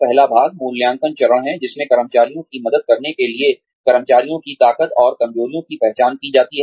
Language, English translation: Hindi, The first part is, the assessment phase, in which, the strengths and weaknesses of employees, to help employees, are identified